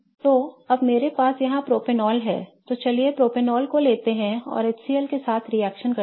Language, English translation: Hindi, So, now I have propanol here and let's take propanol and react it with H